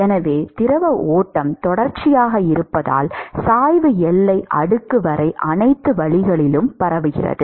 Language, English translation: Tamil, So, because the fluid stream is continuous, that is why the gradient is propagating all the way up to the boundary layer